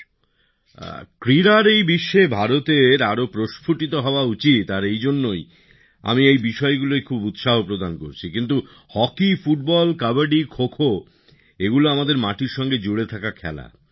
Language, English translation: Bengali, India should bloom a lot in the world of sports and that is why I am promoting these things a lot, but hockey, football, kabaddi, khokho, these are games rooted to our land, in these, we should never lag behind